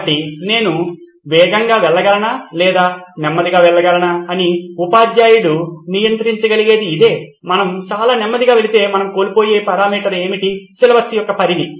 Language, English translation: Telugu, So this is what the teacher can control whether I can go fast, or whether I can go slow, what’s the parameter that we are losing out on if we go very slow is the extent of syllabus